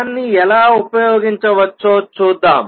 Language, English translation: Telugu, Let us see how we can use that